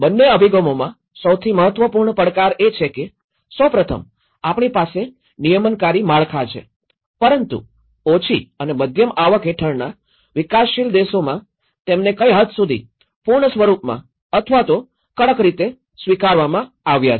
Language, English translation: Gujarati, The important challenge in both the approaches is, first of all, we do have the regulatory frameworks but in the developing countries under low and middle income countries to what extend they are adopted in a full scale or strictly they have been adopted